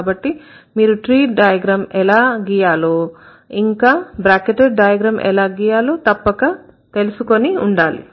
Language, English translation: Telugu, So, that is how you need to find out how to draw the tree diagrams and how to draw the bracketed diagrams